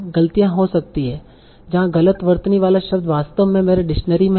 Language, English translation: Hindi, There are, they might be errors where the missispelled word is actually in my dictionary